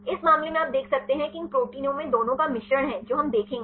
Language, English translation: Hindi, In this case you can see these protein contain the mixture of both right this is how we will see